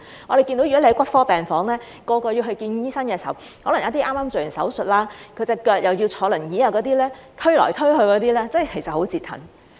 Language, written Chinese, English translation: Cantonese, 我們看到在骨科病房，去見醫生的可能有一些是剛剛做完手術，有腳傷要坐輪椅的病人，他們被推來推去，其實真的是很折騰。, In an orthopaedic ward we have seen patients who may have undergone surgeries recently . They have leg injuries are wheelchair - bound and have to be pushed around which is really vexatious